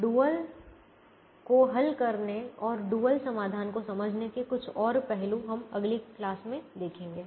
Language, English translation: Hindi, some more aspects of solving the dual and understanding the dual solution we will see in the next class